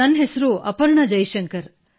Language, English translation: Kannada, My name is Aparna Jaishankar